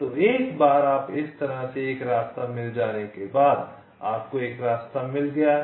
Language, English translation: Hindi, so once you get a path like this, your found out a path